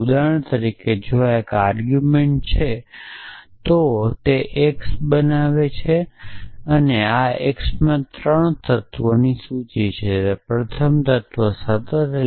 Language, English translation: Gujarati, For example, if this is one of my argument this is x and this x has a list of 3 elements the first element is constant